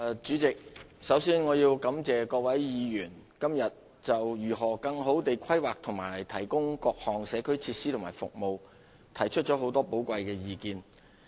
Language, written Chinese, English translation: Cantonese, 主席，首先我要感謝各位議員今天就如何更好地規劃，以提供各項社區設施及服務提出了很多寶貴的意見。, President first of all I want to thank the Honourable Members for the valuable advice they have given today on how better planning can be made to provide various community facilities and services